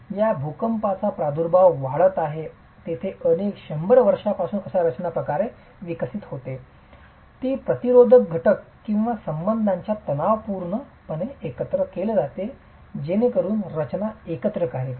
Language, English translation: Marathi, In regions where earthquakes are prevalent the structure over several hundred years evolves in a manner that tensile resisting elements or ties are introduced such that the structure works together